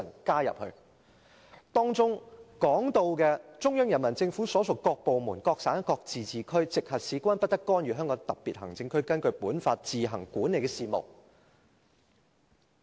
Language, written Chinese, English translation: Cantonese, 該條文訂明："中央人民政府所屬各部門、各省、自治區、直轄市均不得干預香港特別行政區根據本法自行管理的事務。, The Article stipulates that No department of the Central Peoples Government and no province autonomous region or municipality directly under the Central Government may interfere in the affairs which the Hong Kong Special Administrative Region administers on its own in accordance with this Law